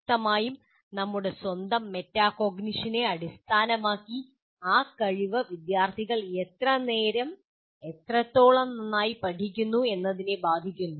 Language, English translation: Malayalam, Now, obviously based on this, based on our own metacognition, that ability affects how well and how long students study